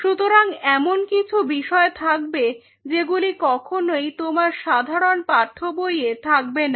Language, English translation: Bengali, So, these are some of the points which will never be part of your standard textbook